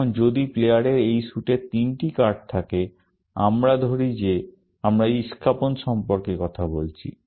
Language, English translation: Bengali, Now, if the player had three cards of this suit; let us say we are talking about spades